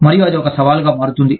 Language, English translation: Telugu, And, that becomes a challenge